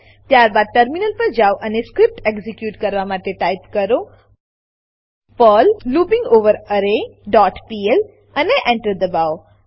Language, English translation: Gujarati, Then switch to the terminal and execute the script as perl loopingOverArray dot pl and press Enter